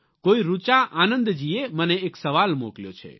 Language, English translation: Gujarati, One Richa Anand Ji has sent me this question